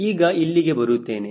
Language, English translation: Kannada, now i come back here again